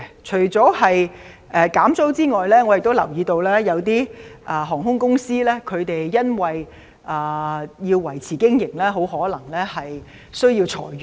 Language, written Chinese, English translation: Cantonese, 除了減租之外，我亦留意到有些航空公司為維持經營，很可能要裁員。, I notice that apart from rent cuts some airline companies may have to cut their staff to remain viable